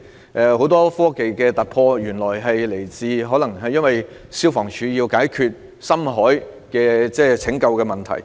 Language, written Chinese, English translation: Cantonese, 例如，原來很多科技上的突破是源自香港消防處要解決深海拯救的問題。, For instance I have realized that many technological breakthroughs are the result of the need of the Fire Services Department to solve problems with deep water rescue